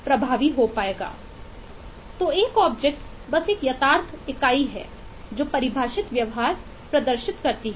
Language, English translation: Hindi, so an object is simply a tangible entity that exhibits some well defined behavior